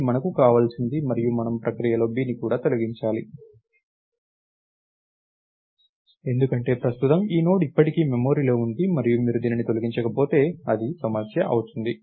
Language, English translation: Telugu, This is what we want, right and we should also delete b in the process because right now this Node is still in memory and if you don't delete it, its going to be a problem, right